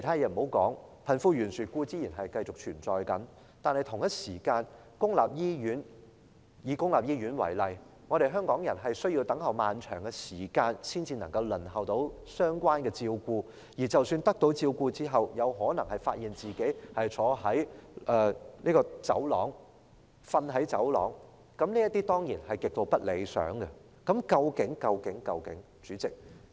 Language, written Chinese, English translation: Cantonese, 遠的不說，貧富懸殊固然繼續存在，同時，以公立醫院為例，香港人需要等候漫長的時間，才能輪候到相關的照顧，而得到照顧之後，卻有可能發現自己要坐在或睡在走廊，這當然是極度不理想的情況。, Apart from anything else the wealth gap persists between the rich and the poor and in public hospitals for example Hong Kong people have to wait a long time to receive relevant care only to find themselves possibly sitting or sleeping in a corridor which is certainly an extremely unsatisfactory situation